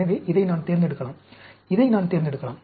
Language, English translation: Tamil, So, I can select this, I can select this